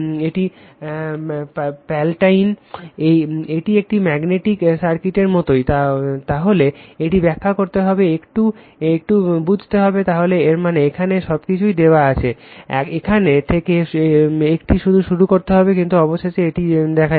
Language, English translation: Bengali, This did not much we will just as is a magnetic circuit, so you have to explain, then you have to your what you call little bit understand on that, so that means, everything is given here, that from here it will start, but finally, it will move like this right